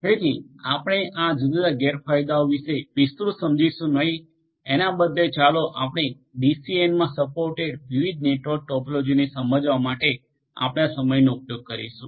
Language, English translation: Gujarati, So, we are not going to elaborate on this different disadvantages rather let us use our time to understand the different other network topologies that are supported in the DCN